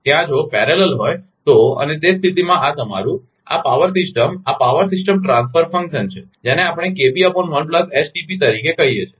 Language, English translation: Gujarati, There if parallel, so, and in that case your this, this power system, this is power system transfer function we call